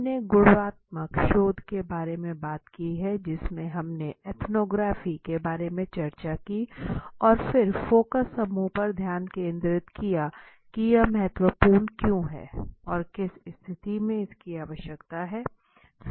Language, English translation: Hindi, We talked about what are the types of qualitative research in which we discussed about the ethnography and then focus group to why it is important and how in which situation it is required